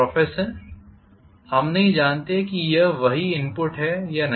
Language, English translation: Hindi, We do not know whether it is the same input